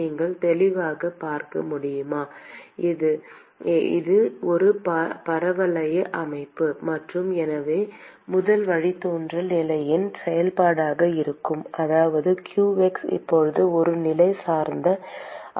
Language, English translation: Tamil, As you can clearly see, it is a parabolic system and so, the first derivative is going to be a function of position which means that the qx is now going to be a positional dependent quantity